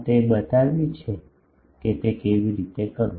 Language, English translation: Gujarati, It has been shown that how to do that